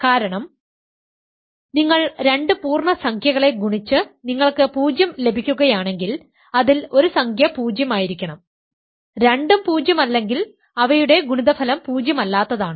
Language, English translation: Malayalam, This is because, if you multiply two integers and you get 0, one of the integers must be 0, if both are non zero, their product is also non zero